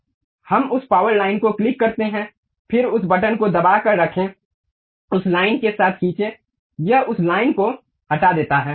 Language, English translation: Hindi, Let us click that power line, then click that button hold it, drag along that line, it removes that line